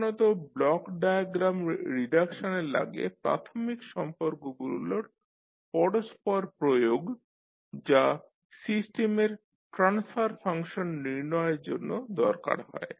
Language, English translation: Bengali, Generally, the block diagram reduction requires the successive application of fundamental relationships in order to arrive at the system transfer function